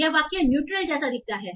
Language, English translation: Hindi, The sentence looks like neutral, right